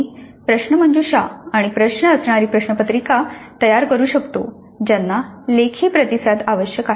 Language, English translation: Marathi, I could create a question paper with quizzes and questions which require written responses